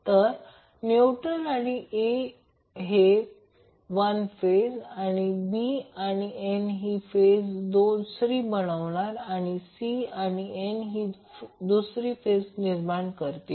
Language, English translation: Marathi, So, neutral and A will create 1 phase B and N will again create another phase and C and N will create, create another phase